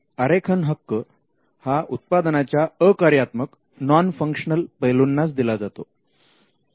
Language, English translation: Marathi, A design right is granted to a non functional aspect of the product